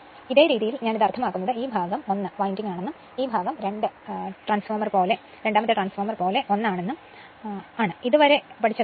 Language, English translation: Malayalam, This way I mean this as if this part is 1 winding and this part is 1 winding like a two winding transformer whatever we have studied there